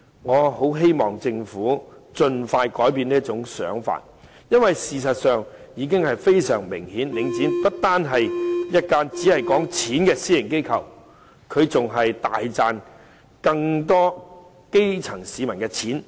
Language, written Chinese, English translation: Cantonese, 我很希望政府盡快改變這種想法，因為事實上已非常明顯，領展不單是一間只談錢的私營機構，它大賺的更是基層市民的錢。, I very much hope that the Government will expeditiously change this mentality because in reality it cannot be clearer that Link REIT is not just a private enterprise geared towards only at making money but the sizable profit made by it comes from the pockets of the grass - roots people